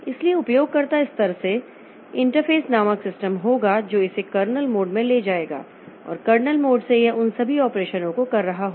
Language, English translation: Hindi, So, from the user level there will be system call interface that will take it to the kernel mode and in the kernel mode it will be doing all those operations